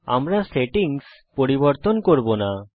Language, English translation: Bengali, We will not change the settings